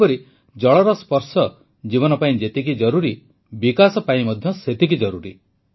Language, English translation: Odia, Similarly, the touch of water is necessary for life; imperative for development